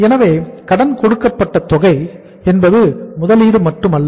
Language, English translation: Tamil, So total amount which we have to lent out is not the investment only